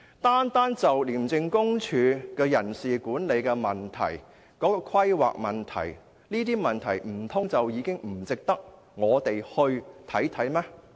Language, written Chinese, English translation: Cantonese, 單就廉署的人事管理和規劃問題，難道不值得我們探究嗎？, Isnt it right to say that the personnel management and planning of ICAC alone already serves as a sufficient ground for an inquiry?